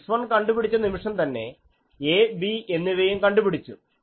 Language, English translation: Malayalam, So, see that once I can find x 1, a b can be determined